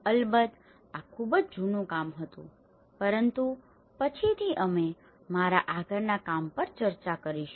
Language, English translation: Gujarati, Of course, this was a very old work but later on, we will be discussing on my further work as well